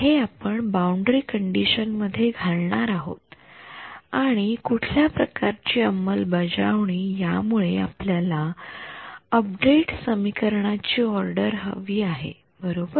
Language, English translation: Marathi, So, this is what we will substitute for E y into this boundary condition and in any sort of what you call implementation we want to get an update equation order right